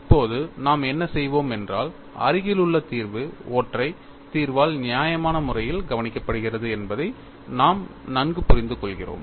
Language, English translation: Tamil, Now, what we will do is, we understand very well, that the near vicinity is reasonably taken care of by the singular solution